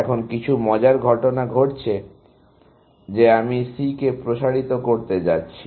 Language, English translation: Bengali, Now, something interesting is happening that I am going to expand C